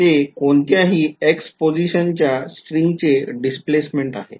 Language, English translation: Marathi, Its the displacement of the string at any position x ok